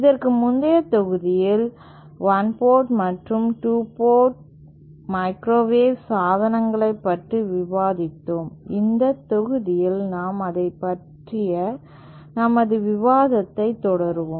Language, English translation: Tamil, In the previous module we had discussed about 1 and 2 port microwave devices, in this module we will continue our discussion on the same lines